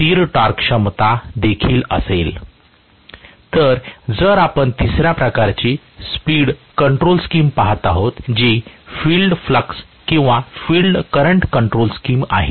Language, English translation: Marathi, Whereas, if we are looking at the third type of speed control scheme, which is field flux or field current control scheme